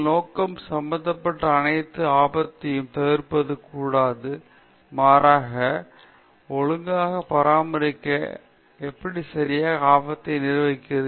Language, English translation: Tamil, Our aim should not be avoiding all the risk that are involved in, but rather how to properly take care of, how to properly manage risk